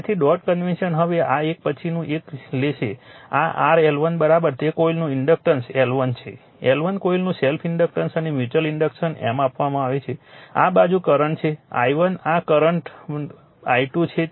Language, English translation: Gujarati, So, dot convention now this one now next one will take this is your L 1 L 2 that inductance of coil self inductance of coil L 1 L 2, and mutual inductance M is given this side current is i1 this side is current is i 2